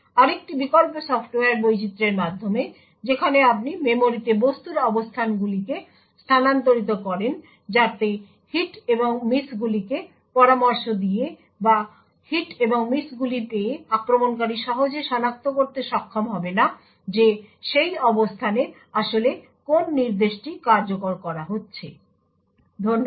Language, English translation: Bengali, Another alternative is by software diversification where you permute the locations of objects in memory so that by monitoring the hits and misses or by obtaining the hits and misses, the attacker will not be easily able to identify what instruction was actually being executed at that location, thank you